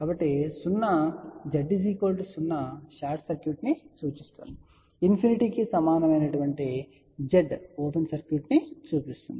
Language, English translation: Telugu, So, 0 Z equal to 0 implies short circuit, Z equal to infinity implies infinity